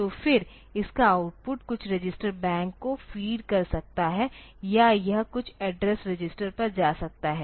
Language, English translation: Hindi, So, then its output can feed to some register bank or it might go to some address register